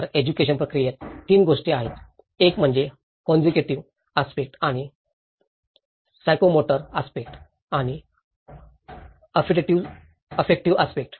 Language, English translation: Marathi, So, in an education process, there are 3 things; one is the cognitive aspects and the psychomotor aspects and the affective aspects